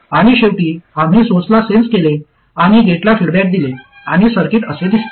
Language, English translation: Marathi, And lastly, we sensed at the source and fed back to the gate and the circuit that we took